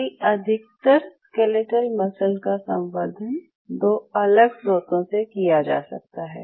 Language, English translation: Hindi, So, mostly skeletal muscle could be culture from 2 different sources